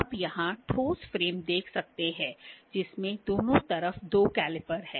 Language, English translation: Hindi, You can see the solid frame here, we in which are two calipers on the both sides